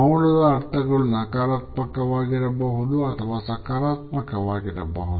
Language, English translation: Kannada, The connotations of silence can be negative or positive